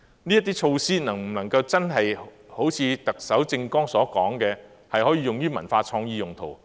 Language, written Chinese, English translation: Cantonese, 這些措施能否真的好像特首政綱所說，可以用於文化創意用途？, Can these measures really work for cultural and creative purposes as described in the Chief Executives manifesto?